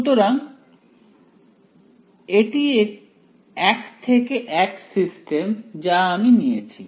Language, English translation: Bengali, So, one to one system I have taken